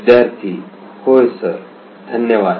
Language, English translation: Marathi, Yeah sir, thank you